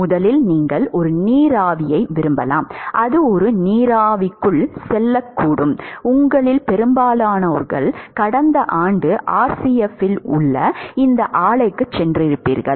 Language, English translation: Tamil, First, you might have like a steam which might go into a, most of you have been to this plant in RCF right, last year